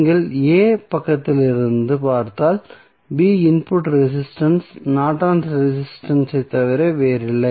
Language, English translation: Tamil, So, if you look from the side a, b the input resistance would be nothing but Norton's resistance